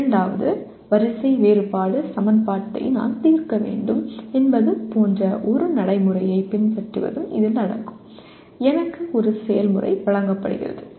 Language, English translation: Tamil, It also includes besides following a procedure like I have to solve a second order differential equation, I am given a procedure